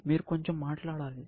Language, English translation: Telugu, You have to speak up a bit